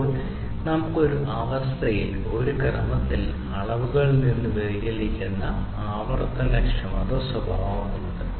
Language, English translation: Malayalam, Then we have the repeatability characteristic, which is the deviation from the measurements, in a sequence, under the same conditions